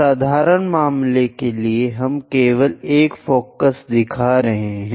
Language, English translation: Hindi, For simple case, we are just showing only one of the foci